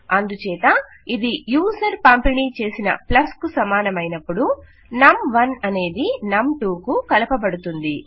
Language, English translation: Telugu, So when this equals to plus supplied by the user, we have num1 added to num2